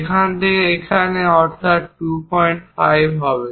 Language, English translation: Bengali, From here to here that is 2